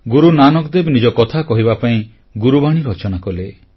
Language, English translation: Odia, In order to convey his ideals, Guru Nanak Dev ji composed the Gurbani